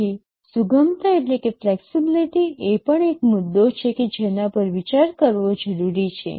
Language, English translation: Gujarati, So, flexibility is also an issue that needs to be considered